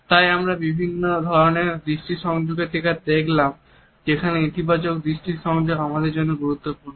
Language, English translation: Bengali, So, we have looked at different types of eye contacts where as a positive eye contact is very important for us